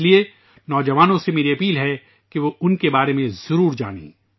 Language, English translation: Urdu, That is why I urge our youngsters to definitely know about him